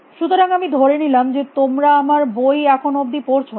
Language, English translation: Bengali, I take it you are not been reading my book yet